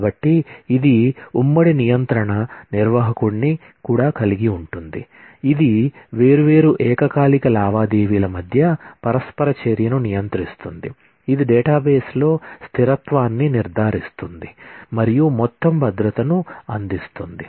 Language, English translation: Telugu, So, this also includes concurrency control manager, which controls the interaction among different concurrent transactions, which ensures the consistency in the database and provides the total safety